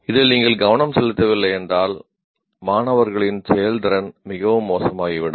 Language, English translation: Tamil, If you don't pay attention to this dimension, then the student performance can become very poor